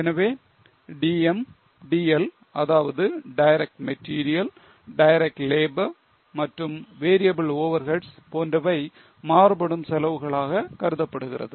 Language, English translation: Tamil, So, DM, DL, that is direct material, direct labor and variable overheads are considered as variable costs